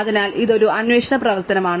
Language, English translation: Malayalam, So, this is a query operation